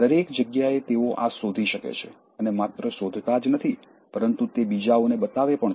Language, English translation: Gujarati, And everywhere they will find this and not only they will find it, they will also point it out to others